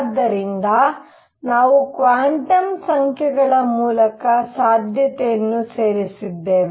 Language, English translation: Kannada, So, we included the possibility through quantum numbers right